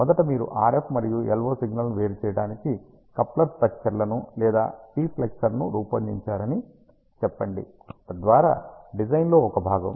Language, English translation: Telugu, ah Let us say first you design a coupling structure or diplexer to a separate out the RF and LO signals, so that design is one part